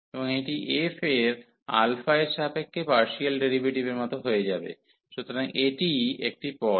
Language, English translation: Bengali, And this will become like partial derivative of f with respect to alpha, so that is the one term